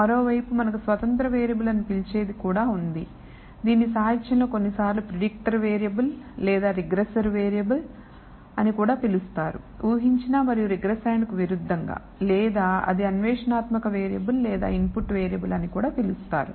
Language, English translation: Telugu, On the other hand we have what is called the independent variable, this is also known in the literature sometimes as the predictor variable or the regressor variable as opposed to predicted and regressand or it is also known as the exploratory variable or very simply as the input variable